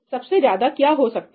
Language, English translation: Hindi, What is most likely to happen